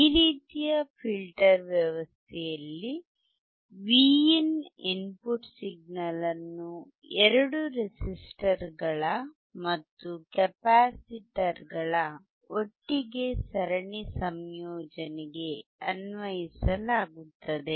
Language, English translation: Kannada, In this type of filter arrangement, the input signal Vin input signal is applied to the series combination of both resistors and capacitors together